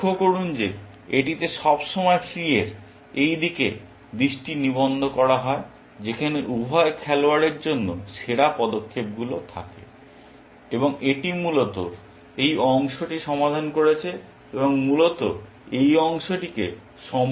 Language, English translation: Bengali, Observe that it is attention is always been focused towards this side of the tree where the best moves lie for both the players, and it has basically solved this part and ignored this part altogether essentially